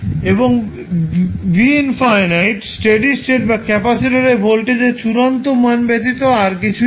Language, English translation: Bengali, And v infinity is nothing but the steady state or the final value of the voltage across capacitor